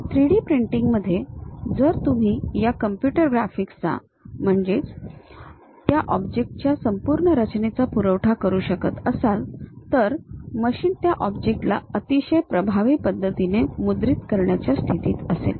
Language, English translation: Marathi, In 3D printing, if you can supply this computer graphics, the complete design of that object; the machine will be in a position to print that object in a very effective way